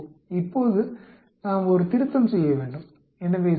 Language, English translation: Tamil, Now we need to do a correction so 0